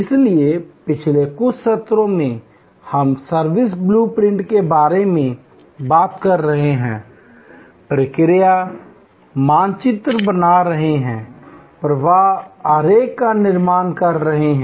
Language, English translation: Hindi, So, in the last few sessions, we have been talking about service blue printing, creating the process map, creating the flow diagram